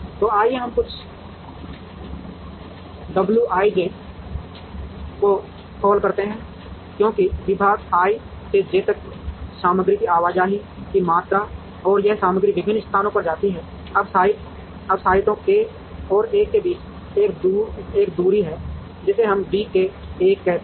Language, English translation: Hindi, So, let us call some w i j, as the amount of material movement from department i to j and this material moves within various places, now there is also a distance between sites k and l, which we call as d k l